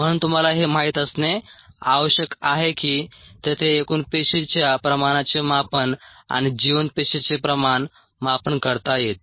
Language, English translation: Marathi, so we need to know that there is a total cell concentration measurement and a viable cell concentration measurement